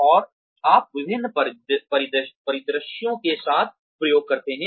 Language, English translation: Hindi, And, you experiment with various scenarios